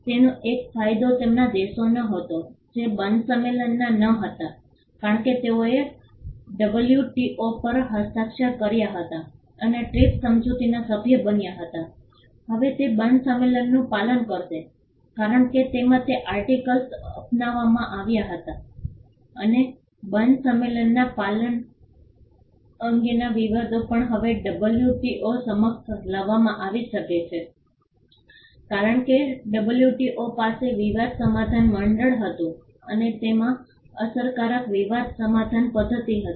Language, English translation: Gujarati, One advantage of this was their countries which were not parties to the Berne convention because they had signed the WTO and became members of the TRIPS agreement would now be following the Berne convention because it adopted those articles and also disputes with regard to compliance of Berne convention could now be brought before the WTO because the WTO had a dispute settlement body and it had an effective dispute settlement mechanism